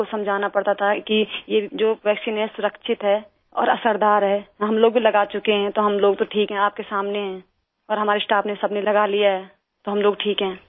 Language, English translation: Hindi, People had to be convinced that this vaccine is safe; effective as well…that we too had been vaccinated and we are well…right in front of you…all our staff have had it…we are fine